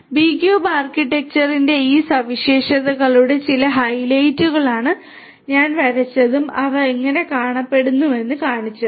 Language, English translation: Malayalam, These are some of these highlights of these properties of the B cube architecture that I had drawn and showed you how they look like